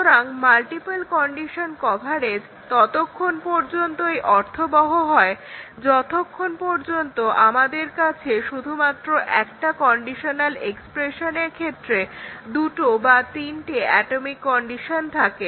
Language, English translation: Bengali, So, the multiple condition coverage is meaningful as long as we have only 2 or 3 atomic conditions in a conditional expression